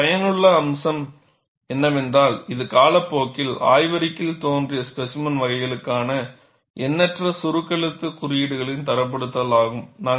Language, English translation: Tamil, Useful aspect of it is its standardization of the myriad of shorthand notations for specimen types that have appeared in the literature over time